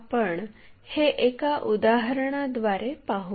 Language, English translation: Marathi, And, let us learn that through an example